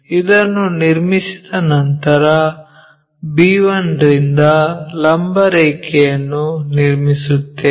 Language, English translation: Kannada, Once it is drawn draw a vertical line from b 1